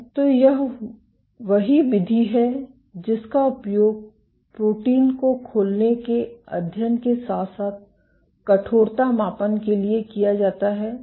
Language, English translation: Hindi, So, this is the same mode which is used for studies of protein unfolding as well as stiffness measurements